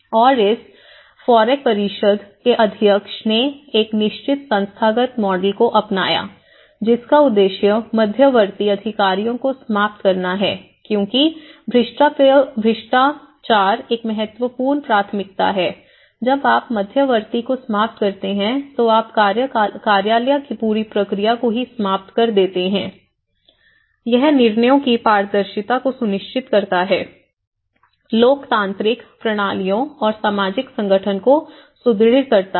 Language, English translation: Hindi, And, the president of this FOREC council, he adopted a certain institutional model which has an objectives, one is eliminate intermediate officers because corruption is an important priority so that when the moment you are eliminating the intermediate offices you are eliminating the whole procedure itself, guarantee the transparency the decisions, reinforce democratic systems and social organization